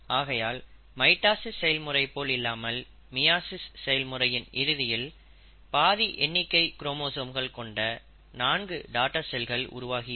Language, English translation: Tamil, So at the end of meiosis, unlike mitosis, you have four daughter cells with half the number of chromosomes